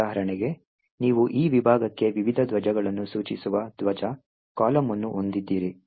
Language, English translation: Kannada, For example, you have a flag column which specifies the various flags for this particular section